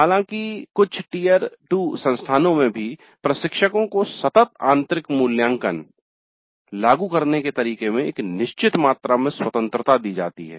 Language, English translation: Hindi, However, in some Tire 2 institutes also, instructors are given certain amount of freedom in the way the continuous internal evaluation is implemented